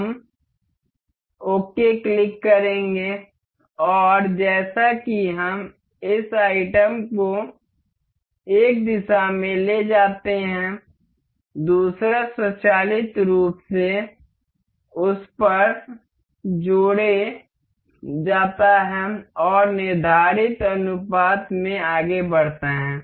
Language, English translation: Hindi, We will click ok and as we move this item to in one direction, the other one automatically couples to that and move in the prescribed ratio